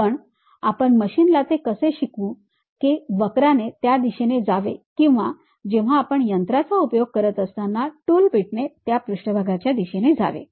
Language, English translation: Marathi, But, how will you teach it to that machine the curve has to pass in that way or the tool bit when you are machining it has to go along that kind of surface